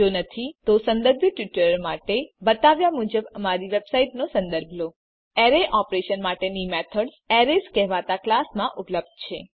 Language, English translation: Gujarati, If not, for relevant tutorial please visit our website which is as shown http://spoken tutorial.org The methods for array operations are available in a class called Arrays